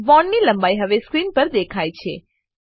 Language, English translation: Gujarati, The bond length is now displayed on the screen